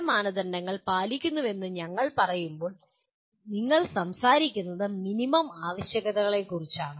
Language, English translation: Malayalam, When we say fulfils certain standards, you are talking about minimum requirements